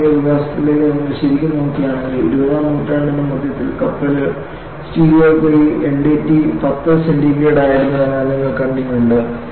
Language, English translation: Malayalam, And if you really look at the modern development, you had seen the ship steels in the middle of 20th century and the NDT as something like 10 degree centigrade